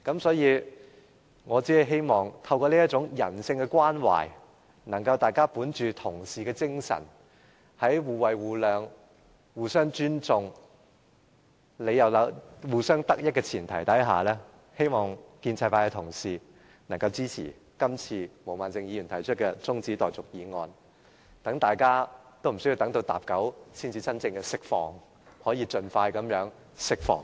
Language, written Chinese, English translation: Cantonese, 所以，我希望透過這種人性關懷，大家可以本着作為同事的精神，在互惠互諒、互相尊重、互相得益的前提下，希望建制派同事可以支持毛孟靜議員今次提出的中止待續議案，讓大家無須每次要等到分針指向45才可釋放，而是真正能夠盡快釋放。, I therefore hope that everybody can show such compassion and that all Members including pro - establishment Members can support Ms Claudia MOs adjournment motion based on a sense of fellowship as Members and the premise of mutual benefits accommodation and respect . That way rather than longing for a break at the 45 minute of every hour we can all be released literally in no time